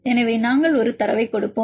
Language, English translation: Tamil, So, we will gave a data